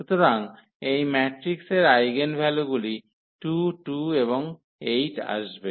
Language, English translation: Bengali, So, the eigenvalues for this matrix will be coming 2 2 and 8